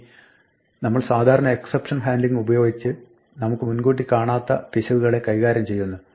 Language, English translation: Malayalam, Now, while we normally use exception handling to deal with errors which we do not anticipate